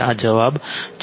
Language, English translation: Gujarati, This is the answer